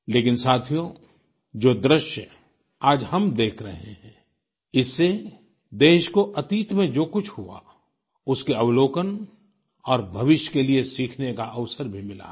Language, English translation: Hindi, But friends, the current scenario that we are witnessing is an eye opener to happenings in the past to the country; it is also an opportunity for scrutiny and lessons for the future